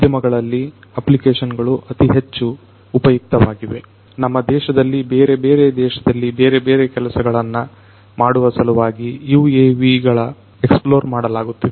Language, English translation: Kannada, Applications in the industries are particularly useful; in our country and different other countries UAVs are being explored to do number of different things